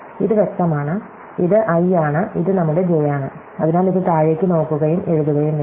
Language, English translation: Malayalam, So, we have in this to be clear this is our i and this is our j, so it has to look down and write